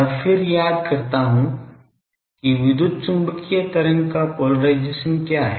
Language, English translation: Hindi, Now then let me recall what is the polarisation of an wave electromagnetic wave